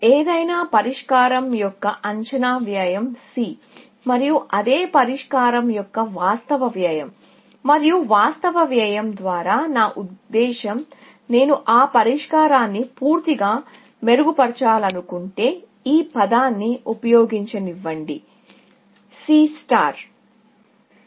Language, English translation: Telugu, Let us say, the estimated cost of any solution is C, and the actual cost of the same solution, and by actual cost, I mean, if I want to refine that solution completely, let me use the term; C star